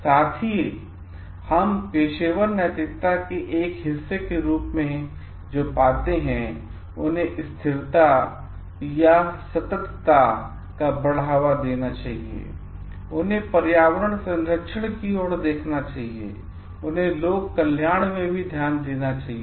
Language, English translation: Hindi, Also what we find as a part of professional ethics, they should be promoting sustainability, they should be looking into environmental protection and they should be looking into public welfare also